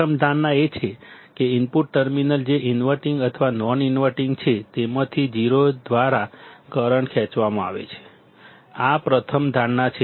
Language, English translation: Gujarati, The first assumption is that the current drawn by either of the input terminals which is the inverting or non inverting is 0; this is the ese are first assumption